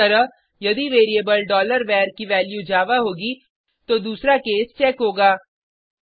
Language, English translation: Hindi, Similarly, if variable $var has value Java , then second case will be checked